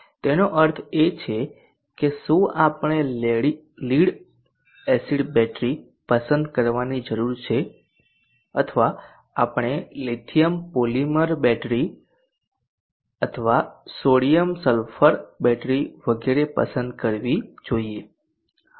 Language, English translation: Gujarati, Is that do we need to select a lead acid battery or should we select lithium polymer battery or sodium sulphur battery extra